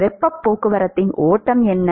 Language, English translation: Tamil, What is the flux of heat transport